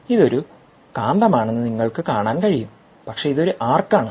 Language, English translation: Malayalam, you can see, this is a magnet, but it is an arc